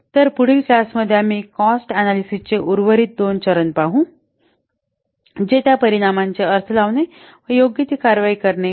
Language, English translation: Marathi, So, in the next class we will see the remaining two steps of cost benefit analysis that is what interpreting the results as well as taking the appropriate action